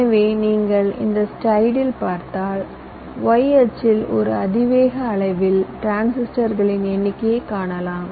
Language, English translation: Tamil, so this light, if you see so, on the y axis you see the number of transistors in an exponential scale